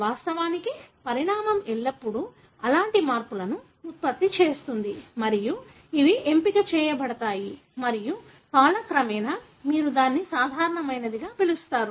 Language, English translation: Telugu, In fact, evolution always produces such, changes and these are selected and with time that becomes what you call it as normal